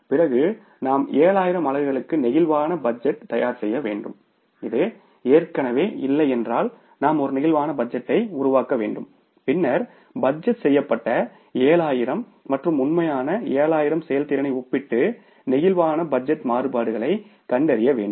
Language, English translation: Tamil, And then we will have to create a flexible budget for 7,000 units if it is already not in place and then make a comparison of the budgeted 7,000 and actual 7,000 performance and find out the flexible budget variances right